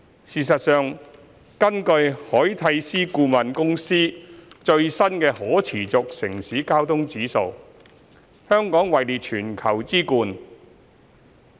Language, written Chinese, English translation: Cantonese, 事實上，根據凱諦思顧問公司最新的"可持續城市交通指數"，香港位列全球之冠。, In fact according to the latest Sustainable Cities Mobility Index of Arcadis Hong Kong ranks number one in the world